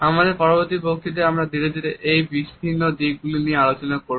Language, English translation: Bengali, In our next lecture we would begin our discussion of these different aspects gradually